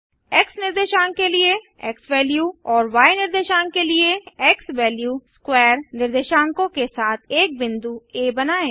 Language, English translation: Hindi, Plot a point A with coordinates xValue, a xValue^2 + b xValue + 3 for the y coordinate